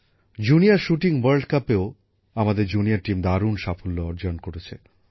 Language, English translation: Bengali, Our junior team also did wonders in the Junior Shooting World Cup